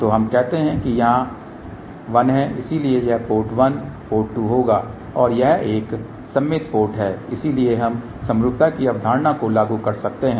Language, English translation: Hindi, So, we say that this one here is 1 so this will be 1 port, 2 port and this is a symmetrical port, so we can apply the concept of the symmetry